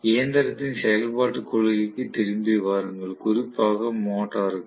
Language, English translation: Tamil, Just come back to the principle of operation of the machine, especially as some motor